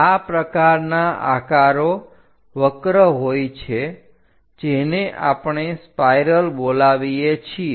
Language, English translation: Gujarati, Such kind of shapes are curves what we call spirals